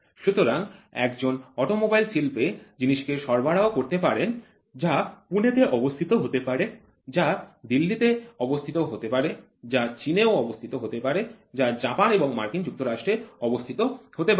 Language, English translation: Bengali, So, a vendor can supply to automobile industry which is located in Pune, which is located in Delhi, which is also located in China, which is located in Japan and US